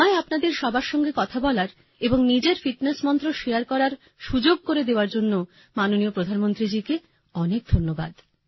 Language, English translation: Bengali, Many thanks to the Honorable Prime Minister for giving me the opportunity to talk to you all and share my fitness mantra